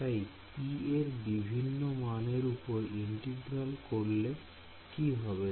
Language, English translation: Bengali, So, this integral over different values of p does not do anything